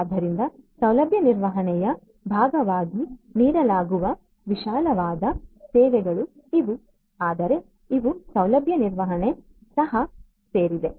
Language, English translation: Kannada, So, these are the broader you know services offered as part of you know facility management, but these are also inclusive in facility management